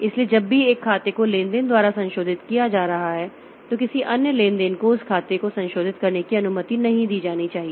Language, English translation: Hindi, So, whenever one account is being modified by a transaction, so no other transaction should be allowed to modify that account